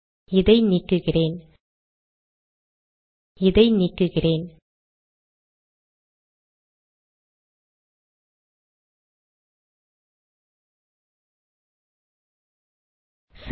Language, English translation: Tamil, Let me delete this, Alright